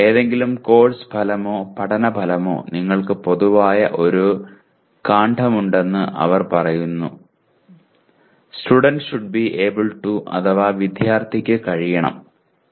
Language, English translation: Malayalam, They say any course outcome or any learning outcome you will have a common stem: “Student should be able to”